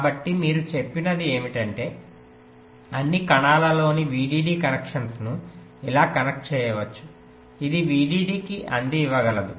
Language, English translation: Telugu, so what you said is that the vdd connections across all the cells can be connected like this